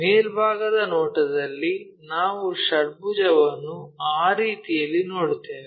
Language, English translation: Kannada, So, in the top view, we will see this hexagon in that way